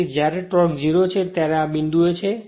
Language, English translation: Gujarati, So, when this is your torque is 0 at this point